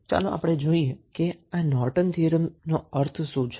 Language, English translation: Gujarati, So, what does Norton's Theorem means